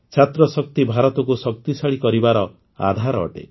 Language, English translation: Odia, Student power is the basis of making India powerful